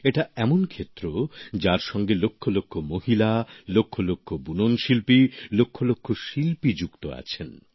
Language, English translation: Bengali, This is a sector that comprises lakhs of women, weavers and craftsmen